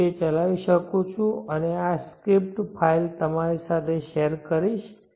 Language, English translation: Gujarati, Yeah I can run that and share this script file with you